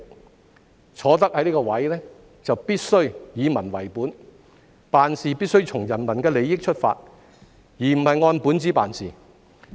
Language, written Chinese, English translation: Cantonese, 他們既然坐上這個位置，就必須以民為本，從人民的利益出發，而不是按本子辦事。, Being appointed to their current posts they must take the people - oriented approach and act in the interests of the public rather than play by the book